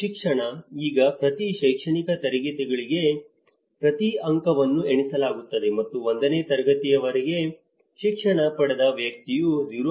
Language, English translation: Kannada, Education; now each point is counted for each academic class and a person educated up to a class 1 receives 0